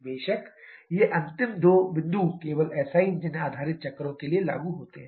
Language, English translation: Hindi, Of course, these last two points are applicable only for SI engine based cycles